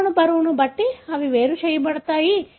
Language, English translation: Telugu, They are separated according to the molecular weight